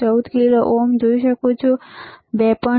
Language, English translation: Gujarati, 14 kilo ohms around 2